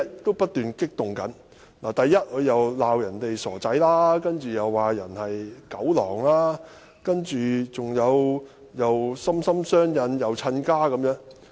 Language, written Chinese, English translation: Cantonese, 第一，他責罵別人是"傻仔"，接着又罵別人是"狗狼"，又說"心心相印"、"親家"。, First he berated others as idiots and dog - wolf and then he talked about being linked in heart and in - law